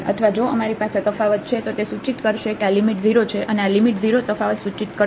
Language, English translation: Gujarati, Or if we have differentiability it will imply that this limit is 0, and this limit 0 will imply differentiability